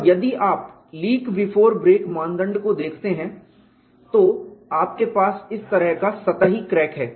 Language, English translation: Hindi, And if you look at the leak before break criterion, you have a surface crack like this